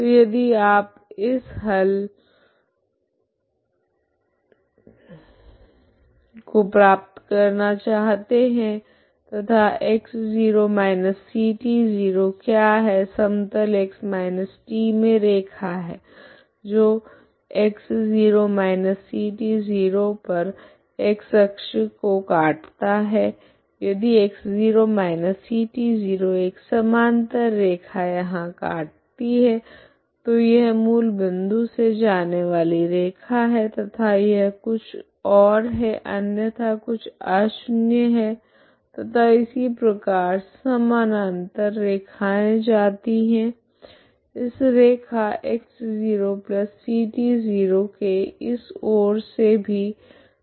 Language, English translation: Hindi, So this is what you have this is what is So if you want this solution and what is this x0−c t 0 is the line in x−t plane the cuts the x−axis at x0−c t 0 if x0−c t 0=0, a parallel line cuts here, this is the line that passes through origin and this is something else some nonzero and similarly parallel lines will go even this side this is x0+c t0 line